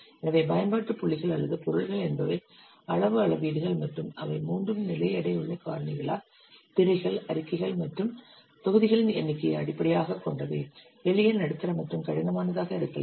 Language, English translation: Tamil, So the application points or object points, they are size matrix and they are based on counting the number of screens, reports, and modules which are weighted by a three level factor, may be simple, medium, and difficult